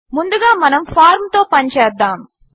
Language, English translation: Telugu, Let us Work with the form first